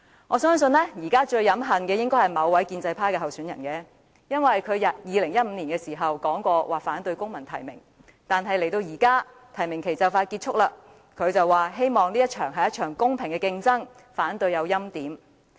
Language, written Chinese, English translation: Cantonese, 我相信現時最飲恨的應該是某位建制派參選人，她曾在2015年表示反對公民提名，但現在提名期即將結束，她卻說希望這是一場公平的競爭，反對欽點。, I believe a certain aspirant from the pro - establishment camp is probably feeling the most dejected now . While she had opposed the idea of civil nomination in 2015 and with the nomination period concluding soon she said that she wishes it is a fair competition and opposes the handpicking of a winner